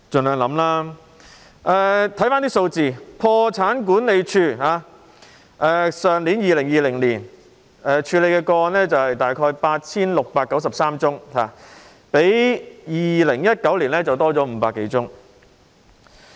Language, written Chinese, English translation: Cantonese, 看看相關數字，破產管理署去年處理的個案大約 8,693 宗，較2019年增加500多宗。, Let us look at the relevant figures . The Official Receivers Office handled about 8 693 cases last year 2020 an increase of some 500 cases compared with 2019